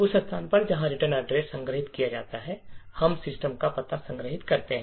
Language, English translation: Hindi, At the location where the return address is stored, we store the address of the system